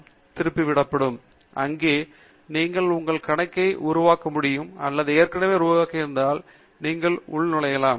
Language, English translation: Tamil, com where you will be able to create your account or if you already have created then you can sign in